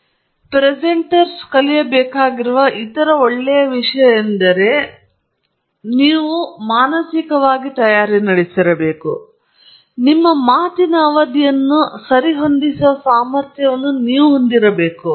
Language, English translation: Kannada, The other very nice thing that a presenter should learn over the years of the presentation, which you should get, you know, prepare for mentally is that you have to have the ability to adjust the duration of your talk okay